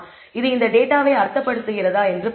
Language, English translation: Tamil, Let us go and see whether this makes sense of this data